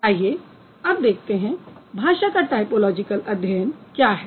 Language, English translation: Hindi, So now let's see what is typological study of languages